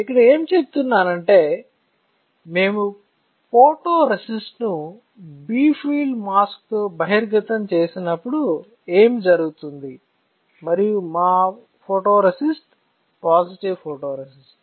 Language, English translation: Telugu, So, what I was telling you here is that what will happen when we expose the photoresist with a bright field mask and our photoresist is a positive photoresist